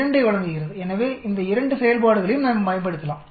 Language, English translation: Tamil, 2 the F ratio, so we can use both these functions